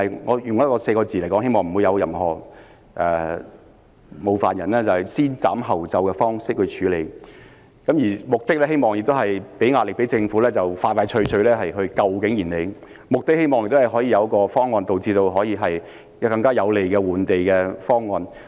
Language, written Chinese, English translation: Cantonese, 我用4個字來形容——希望不會冒犯他人——便是以"先斬後奏"的方式來處理，目的是希望給政府壓力，盡快拯救景賢里，亦希望可以得到更有利的換地方案。, With no offense I would describe the approach as act first and report later with the intent of exerting pressure on the Government to save King Yin Lei so that a more favourable land exchange proposal could be reached